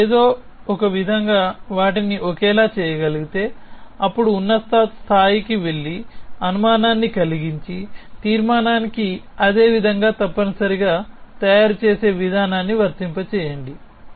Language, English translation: Telugu, If you can somehow make them the same, then go higher and make the inference and apply the same way of making them the same to the conclusion as well essentially